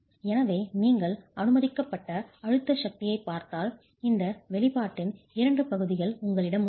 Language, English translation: Tamil, So if you look at the permissible compressive force you have two parts of this expression